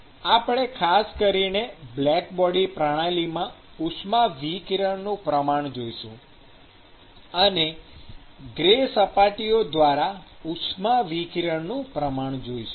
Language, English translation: Gujarati, And we will specifically look at quantifying radiation in black body systems and quantifying radiation through gray surfaces